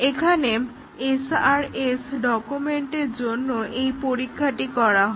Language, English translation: Bengali, And, here the testing is done against, the SRS document